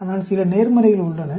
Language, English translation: Tamil, But, there are some positives